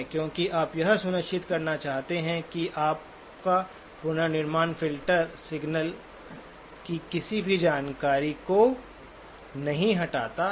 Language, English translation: Hindi, Because you want to make sure that your reconstruction filter does not remove any of the information of the signal